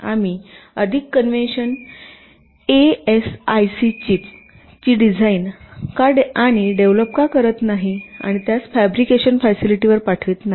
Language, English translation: Marathi, why dont we design and develop a more conventional as a chip and send it to the fabrication facility